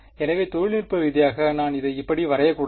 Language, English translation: Tamil, So, technically I should not draw it like this